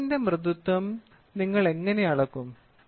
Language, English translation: Malayalam, Softness of a skin, how do we measure